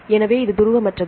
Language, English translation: Tamil, So, it is highly nonpolar